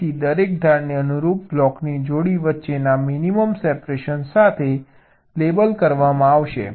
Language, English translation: Gujarati, so each of the edges will be labeled with the minimum separation between the corresponding pair of blocks